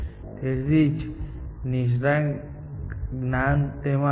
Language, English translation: Gujarati, That is why, expert knowledge came into that